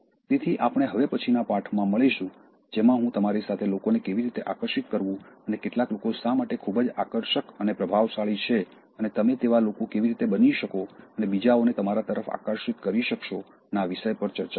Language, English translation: Gujarati, So, we will meet in the next lesson in which I will discuss with you, how to attract people and why some people are very attractive and charismatic and how you can become those people and attract others to you